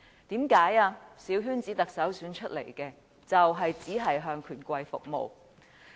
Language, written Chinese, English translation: Cantonese, 因為由小圈子選出的特首只會向權貴服務。, Because a Chief Executive returned by a coterie election will only serve the rich and powerful